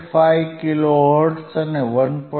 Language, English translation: Gujarati, 5 kilo hertz and above 1